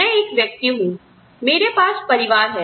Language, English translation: Hindi, I have a family